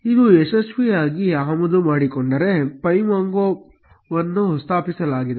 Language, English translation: Kannada, If it successfully gets imported, pymongo has been installed